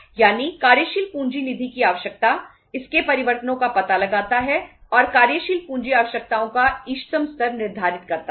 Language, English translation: Hindi, That is the working capital fund requirement, traces its changes and determines the optimum level of the working capital requirements